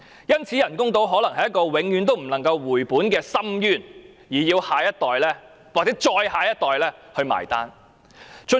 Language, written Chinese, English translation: Cantonese, 因此，人工島可能是一個永遠不能回本的深淵，要下一代甚至再下一代結帳。, Therefore artificial islands might become an abyss with the investment never recovered leaving the bill to be paid by the next generation or even the generation after next